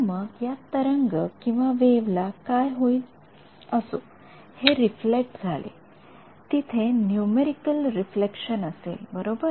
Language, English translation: Marathi, So, what happens to this wave, anyway this reflected there will be a numerical reflection right